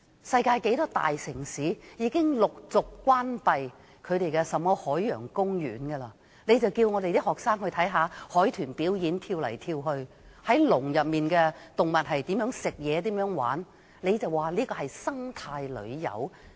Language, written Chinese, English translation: Cantonese, 世界許多大城市已經陸續關閉這類海洋公園，你們還叫學生去看海豚跳來跳去、看關在籠內的動物進食和玩耍，還說這是生態旅遊。, Many big cities in the world are gradually closing up parks similar to the Ocean Park . You still ask students to watch dolphins jumping out of water or animals eating and playing in cages and you call that eco - tourism?